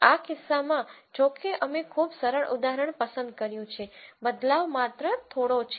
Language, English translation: Gujarati, In this case because we chose a very simple example the updation is only slight